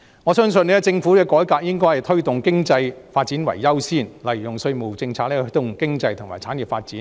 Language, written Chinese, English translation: Cantonese, 我相信政府的改革應以推動經濟發展為優先，例如利用稅務政策來推動經濟及產業發展。, I believe that the Government should accord priority to economic development in its reform for example to promote economic and industry development through taxation policy